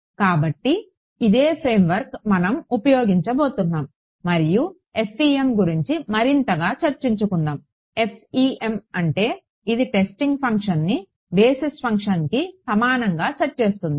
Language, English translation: Telugu, So, this is the same framework that we are going to use and coming more towards the FEM right; what FEM does is it sets the testing function to be equal to the basis function ok